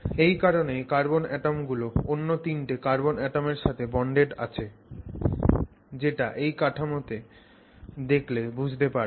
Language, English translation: Bengali, So, that is why each carbon atom is now bonded to three other carbon atoms, three other adjacent carbon atoms which is what you will see if you look at this structure here